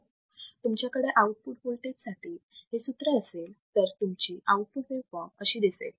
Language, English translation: Marathi, So, if you have this formula for output voltage, your output waveform would be this